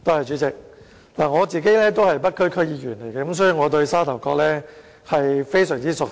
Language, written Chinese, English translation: Cantonese, 主席，我是北區區議員，所以我對沙頭角非常熟悉。, President I am a District Council member of the North District and so I know Sha Tau Kok very well